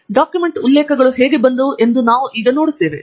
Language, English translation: Kannada, And we see how the document references have come